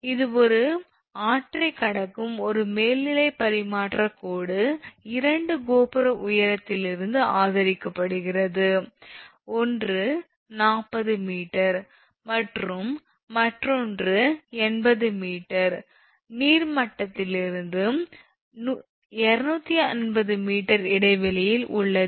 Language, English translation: Tamil, Now, this one that an overhead transmission line at a river crossing is supported from two towers of height, one is 40 meter and another is 80 meter above the water level with a span of 250 meter